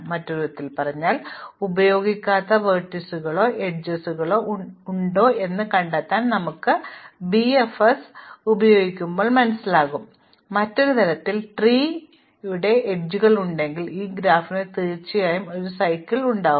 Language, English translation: Malayalam, In other words, when we run BFS if we find that there are some vertices or some edges rather which are not used, in other words there are any non tree edges then this graph will definitely have a cycle